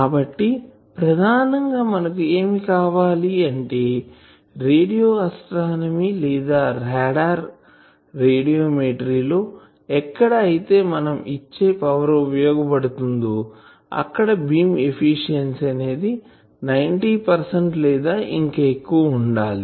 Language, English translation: Telugu, So, basically we require in particularly when for radio astronomy or RADAR radiometry where you have you need to very efficiently use your power that time this beam efficiency should be of the order of 90 percent or more